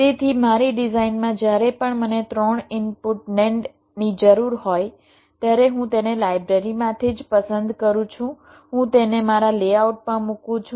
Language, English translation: Gujarati, so in my design, whenever i need a three input nand, i simply pick it up from the library, i put it in my layout